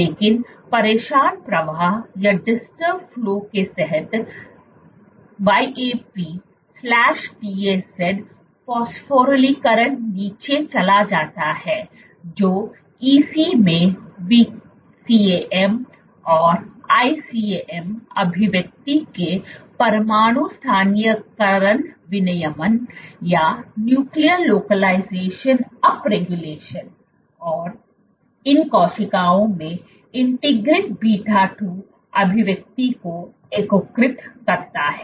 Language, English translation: Hindi, But under disturbed flow YAP/TAZ phosphorylation goes down that leads to nuclear localization up regulation of VCAM and ICAM expression in ECs and integrin beta 2 expression in these cells